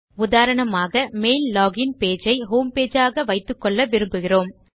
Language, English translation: Tamil, Say for example, we want to set our email login page as our home page